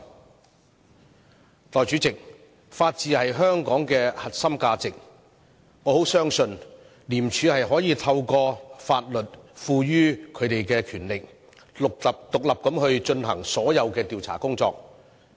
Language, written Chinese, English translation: Cantonese, 代理主席，法治是香港的核心價值，我十分相信廉署可透過法律賦予它的權力，獨立進行所有調查工作。, Deputy President the rule of law is the core value of Hong Kong and I firmly believe that with the power given to ICAC under the law it should be able to conduct its investigation independently